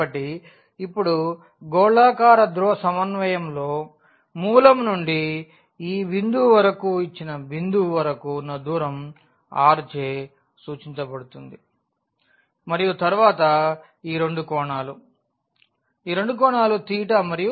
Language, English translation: Telugu, So now, in spherical polar coordinate this distance from the origin to this point to the given point will be denoted by r and then these two are the angles; these two are the angles theta and phi